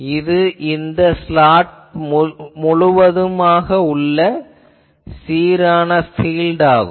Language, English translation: Tamil, So, it is an uniform field throughout this slot